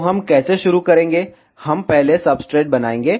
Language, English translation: Hindi, So, how we will start, we will first make the substrate